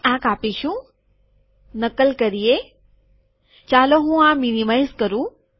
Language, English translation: Gujarati, We will cut this, copy, let me minimize this